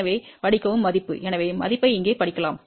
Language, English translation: Tamil, So, read the value, so you can read the value as this here